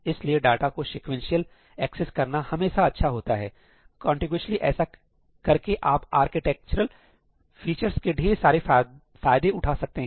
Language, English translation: Hindi, So, it is always good to access data sequentially, contiguously; you really benefit with a lot of architectural features by doing that